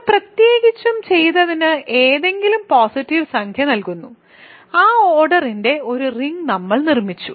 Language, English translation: Malayalam, So, what we have done in particular is given any positive integer n we have produced a ring of that order